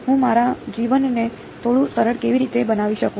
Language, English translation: Gujarati, How can I make my life a little bit easier